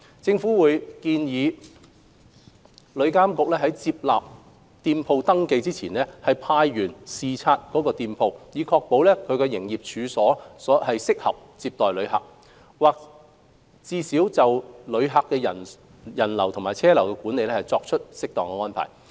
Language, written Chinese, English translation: Cantonese, 政府會建議旅監局在接納店鋪登記前，派員視察該店鋪，以確保其營業處所適合接待旅客，或最少已就旅客人流和車流的管理作出適當安排。, The Government will recommend TIA to conduct on - site inspection before registering a shop which inbound tour groups are arranged to patronize with a view to ensuring that the premises is suitable for receiving tourists or that appropriate visitor and vehicular flow control measures have been put in place